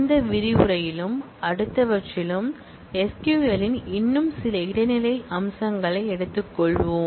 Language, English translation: Tamil, in this module and the next we will take up some more intermediate level features of SQL